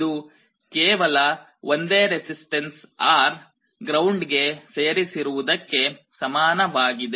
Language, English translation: Kannada, This is equivalent to a single resistance R connected to ground